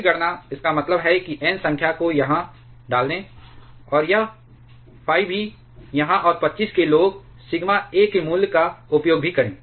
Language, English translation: Hindi, Then calculations, means putting N this number here, and also this phi here, and also the using the value of sigma a for 25